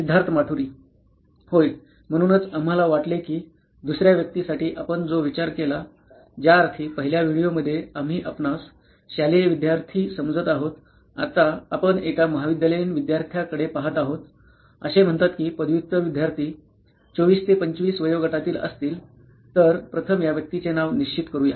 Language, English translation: Marathi, Yeah, so guys for the second persona what we thought is, since in the first video we have considered us school going student, now we will looking at a college going student say a post graduate student may be of the age 24 to 25, so let us fix a name to this person first